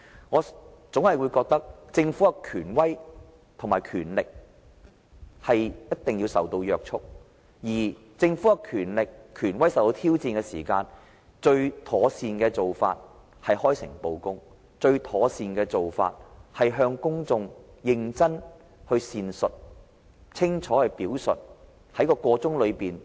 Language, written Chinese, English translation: Cantonese, 我認為，政府的權威和權力，須受到約束，而政府的權力和權威受到挑戰時，最妥善的做法是開誠布公，向公眾認真闡述、清楚表述。, To me the Governments power and authority should be kept in check . Facing a challenge to its power and authority the best approach for the Government is to work in an open and transparent manner explain and expound the case to the public clearly and carefully